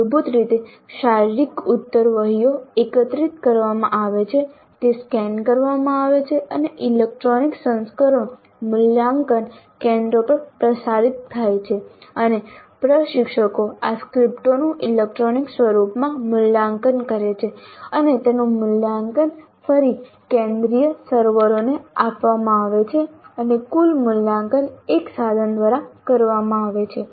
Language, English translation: Gujarati, Basically the answer sheets, physical answer sheets are collected, they are scanned and the electronic versions are transmitted to the evaluation centers and the instructors evaluate these scripts in the electronic form and their evaluations are again fed back to the central servers and the total evaluation is done by a tool